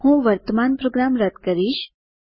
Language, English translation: Gujarati, I will clear the current program